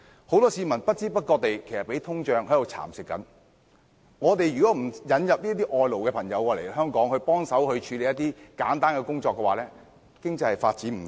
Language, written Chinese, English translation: Cantonese, 很多市民的收入不知不覺遭通脹蠶食，如果香港不引入外勞協助處理一些簡單工作的話，經濟是無法發展的。, The income of many people has been eroded by inflation without them noticing it . If Hong Kong refuses to import foreign workers to assist in undertaking some simple jobs it will be utterly impossible to develop the economy